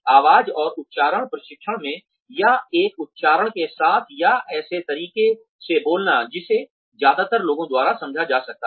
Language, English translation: Hindi, In, voice and accent training, or, speaking with an accent or in a manner that one can be understood, by most people